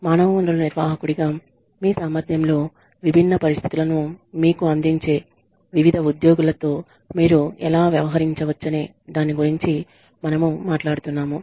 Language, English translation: Telugu, We were talking about, how you can deal with different employees, who present, different situations to you, in your capacity as a human resources manager